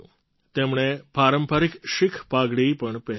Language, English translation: Gujarati, He also wore the traditional Sikh turban